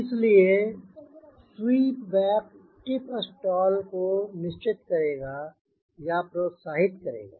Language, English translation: Hindi, so the sweep back will ensure or encourage tip stall